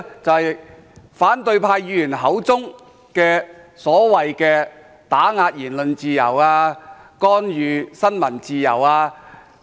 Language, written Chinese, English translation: Cantonese, 就是反對派議員口中所謂的打壓言論自由、干預新聞自由等。, The ghosts are in the words of the opposition Members suppression of freedom of speech or interference with freedom of the press etc